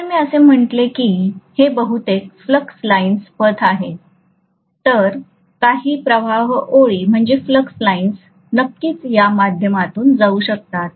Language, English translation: Marathi, So if I say that these are majority of the flux lines path, some of the flux lines can definitely go through this, like this